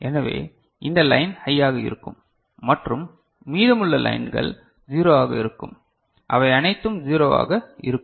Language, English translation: Tamil, So, then this line will be high and rest of the lines will be 0, all of them will be 0 right